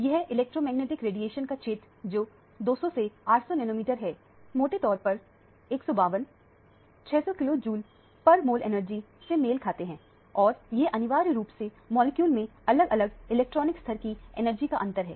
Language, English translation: Hindi, This region of electromagnetic radiation namely 200 to 800 nanometer roughly corresponds to 152, 600 kilo joules per mole of energy and this essentially is the energy difference between the various electronic levels in a molecule